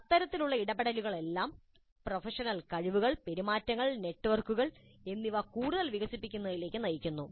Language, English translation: Malayalam, All these kinds of interactions, they lead to the development of further professional skills, behaviors and networks